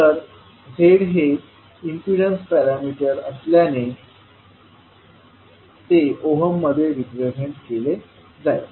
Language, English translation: Marathi, So, since the Z is impedance parameter, it will be represented in ohms